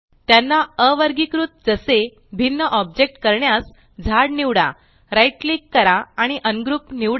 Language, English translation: Marathi, To ungroup them as separate objects, select the tree, right click and select Ungroup